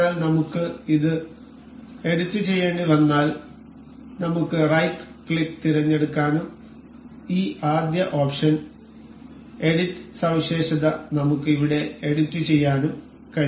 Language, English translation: Malayalam, So, in case we need to edit it we can select right click and this first option edit feature we can edit here